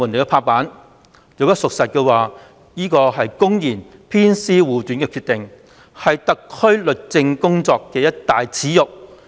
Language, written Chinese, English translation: Cantonese, 如此說法屬實，便是公然偏私護短的決定，是特區政府律政工作的一大耻辱。, If this is true then the decision is marked by blatant favouritism a huge disgrace to the SAR Governments administration of justice